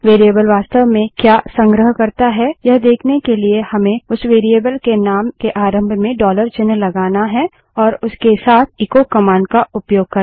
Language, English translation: Hindi, To see what a variable actually stores we have to prefix a dollar sign to the name of that variable and use the echo command along with it